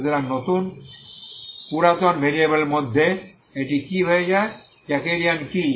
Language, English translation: Bengali, So in the in the old variables this is what it becomes what is Jacobean